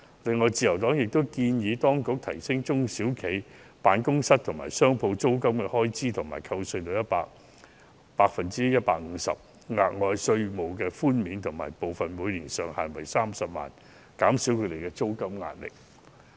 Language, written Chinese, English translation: Cantonese, 另外，自由黨亦建議當局提高中小企辦公室和商鋪租金的開支扣稅至 150%， 額外稅務寬免部分每年上限為30萬元，以減低他們的租金壓力。, Moreover the Liberal Party has also suggested that the Government should increase SMEs tax allowance for office and shop rents to 150 % with the amount of this additional tax concession being capped at 300,000 so as to alleviate the rental pressure on SMEs